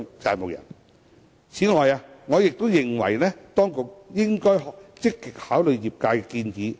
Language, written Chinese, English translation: Cantonese, 此外，我亦認為當局應該積極考慮業界的建議。, Besides I think the authorities should actively give consideration to the proposals made by the industry